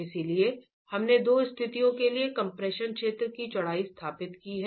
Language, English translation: Hindi, So, we have established the width of the compressed zone for the two situations